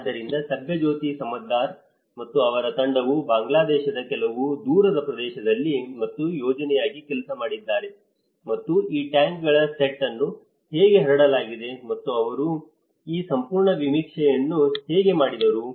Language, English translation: Kannada, So, Subhajyoti Samaddar and his team worked as a project in some remote area of Bangladesh and how this set up of tanks have been diffused and how they did this whole survey